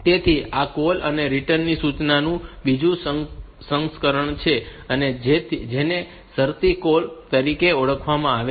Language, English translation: Gujarati, So, there is another version of this call and return instruction, which are known as conditional call